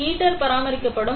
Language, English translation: Tamil, So, the heater will be maintained